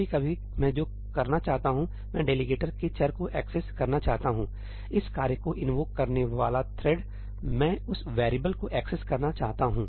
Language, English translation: Hindi, Sometimes what I want to do is, I want to access the variable of the delegator the thread that invoked this task I want to access that variable